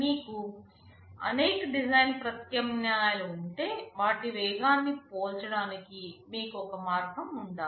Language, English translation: Telugu, And if you have several design alternatives, you should have a way to compare their speeds